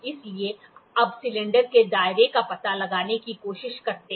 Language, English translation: Hindi, So, now, let us try to find out the radius of the cylinder